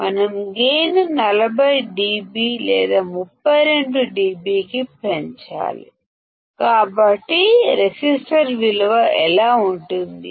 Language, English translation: Telugu, That we have to increase the gain to 40 dB or 32 dB; so, what will the value of resistors be